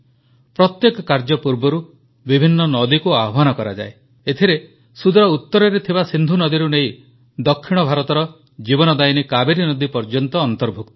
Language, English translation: Odia, The various rivers in our country are invoked before each ritual, ranging from the Indus located in the far north to the Kaveri, the lifeline of South India